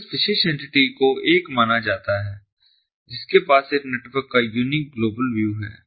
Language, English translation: Hindi, so this particular entity is considered to be the one which has the unique global view of this network underneath